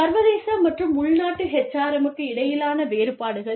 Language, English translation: Tamil, Differences between, international and domestic HRM